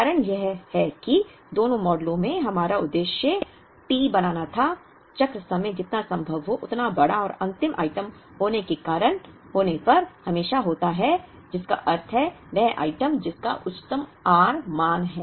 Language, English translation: Hindi, The reason is that, in both the models our objective was to make T, the cycle time as large as possible and that would invariably happen when the last item, which means the item that has the highest r value